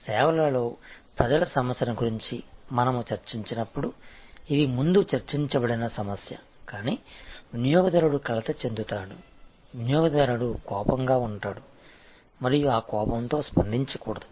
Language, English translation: Telugu, This is the issue that we are discussed earlier when we discussed about people issues in services, but the customer will be upset, customer will be angry and that anger should not be responded with anger